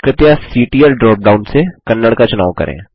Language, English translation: Hindi, Please select Kannada from the CTL drop down